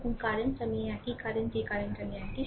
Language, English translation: Bengali, And current i is same this current i is same